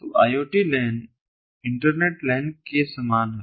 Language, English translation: Hindi, so iot lan is very similar to iot, the internet lan